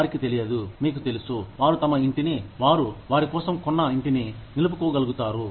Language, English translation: Telugu, They do not know, whether, you know, they will be able to retain the house, that they have bought, for themselves